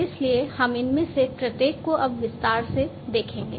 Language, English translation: Hindi, So, we will look at each of these in detail now